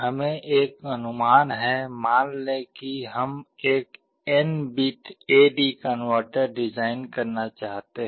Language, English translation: Hindi, Let us have an estimate, suppose we want to design an n bit A/D converter